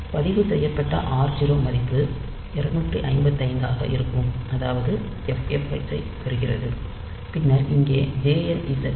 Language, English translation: Tamil, So, r 0 registered is getting the value ffh that is 255, and then we are decrementing jump on nonzero r 0 here